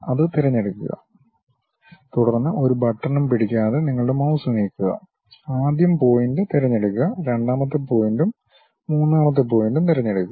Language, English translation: Malayalam, Pick that, then move your mouse without holding any button, pick first point, second point may be third point